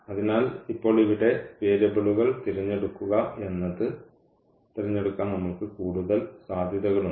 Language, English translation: Malayalam, So, we have more possibilities to actually choose the choose the variables now here